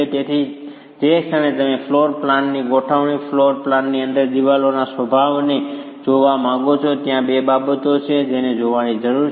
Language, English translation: Gujarati, So, the moment you want to look at floor plan configuration and the disposition of the walls within the flow plan, there are two things that need to be looked at